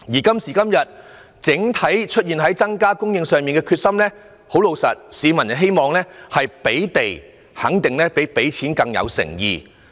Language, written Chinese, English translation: Cantonese, 今時今日，關於政府對於整體房屋供應的決心，老實說，市民會認為提供土地較"派錢"更有誠意。, Nowadays what does the public think about the Governments determination in increasing the overall housing supply? . Frankly speaking the public considers that providing land will be more effective in showing the Governments sincerity than handing out cash